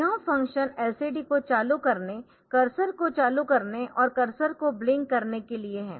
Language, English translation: Hindi, So, it will initialize the LCD then we turn we want to turn the LCD on the cursor on and also the cursor blinking on